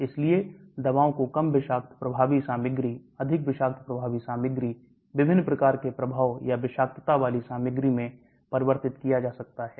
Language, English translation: Hindi, So the drugs may be converted to less toxic effective material, more toxic effective material, materials with different types of effect or toxicity